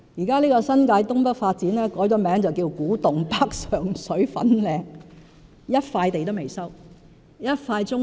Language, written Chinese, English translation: Cantonese, 這項新界東北發展計劃現已改名為"古洞北、上水、粉嶺"，但到目前為止，尚未收回一塊棕地。, It was estimated that the project now renamed Kwu Tung NorthSheng ShuiFanling New Development Areas would be ready for occupation in 2015 or 2016 . However not a single brownfield site has been resumed so far